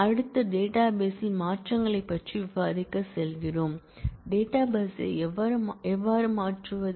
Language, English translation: Tamil, Next we move on to discussing the modifications to the database, how do we modify the database